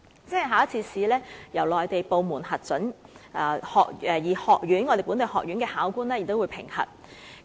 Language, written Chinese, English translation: Cantonese, 只需通過一次考試，由內地部門核准人士及本地學院考官同時進行評核。, Under the system the qualifications of local chefs can be reviewed by both the Mainland and Hong Kong authorized examiners in one single assessment